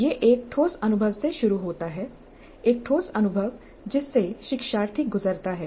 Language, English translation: Hindi, It starts with a concrete experience, a concrete experience that the learner undergoes